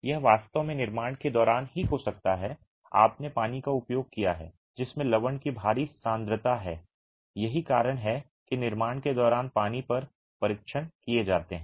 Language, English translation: Hindi, It could actually be during construction itself you have used water that has a heavy concentration of salts which is the reason why tests on water are carried out during construction so that you don't have these undesirable salts